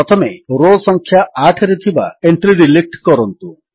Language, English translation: Odia, First, lets delete the entry in row number 8